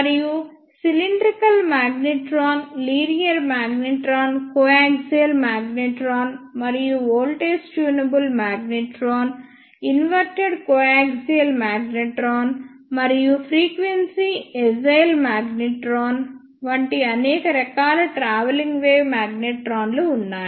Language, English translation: Telugu, And there are many types of travelling wave magnetrons such as cylindrical magnetron, linear magnetron, coaxial magnetron and voltage tunable magnetron, inverted coaxial magnetron and frequency agile magnetron